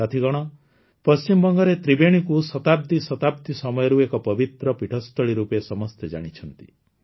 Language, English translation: Odia, Friends, Tribeni in West Bengal has been known as a holy place for centuries